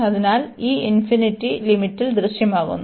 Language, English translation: Malayalam, So, this infinity appears in the limit